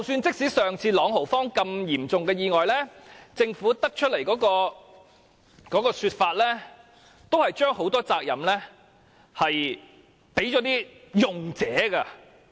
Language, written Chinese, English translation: Cantonese, 即使之前在朗豪坊發生的自動扶手電梯嚴重意外，政府的說法也是將很多責任放在使用者身上。, Even when it comes to the serious accident involving an escalator that occurred at Langham Place some time ago the remarks made by the Government have placed a lot of the responsibility on the users . Let me read out what it said